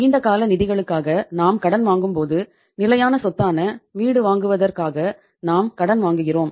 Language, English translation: Tamil, When we borrow for the long term funds, for the long term uh say for the fixed assets even we borrow for buying a house